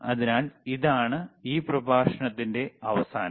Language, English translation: Malayalam, So, this end of this lecture